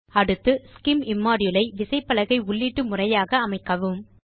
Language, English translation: Tamil, Next select the SCIM immodule as the keyboard input method